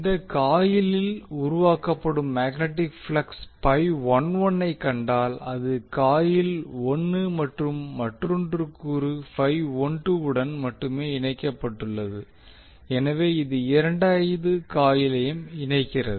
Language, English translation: Tamil, So if you see the magnetic flux generated in this particular coil has phi 11 which is link to only coil 1 and another component phi 12 which links the second coil also